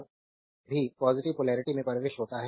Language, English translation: Hindi, Whenever current entering through the positive polarity